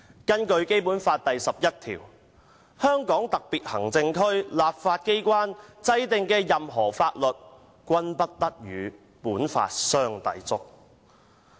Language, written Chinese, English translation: Cantonese, 根據《基本法》第十一條："香港特別行政區立法機關制定的任何法律，均不得同本法相抵觸。, According to Article 11 of the Basic Law [n]o law enacted by the legislature of the Hong Kong Special Administrative Region shall contravene this Law